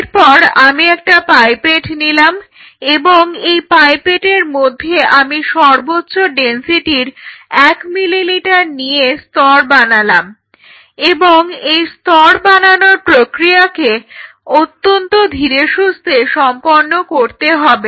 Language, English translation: Bengali, So, now, I take a pipette and, on a pipette, I layer the highest density 1 ml layering and this layering has to be done very gently, so density 1